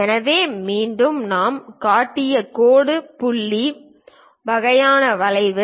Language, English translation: Tamil, So, again dash dot kind of curve we have shown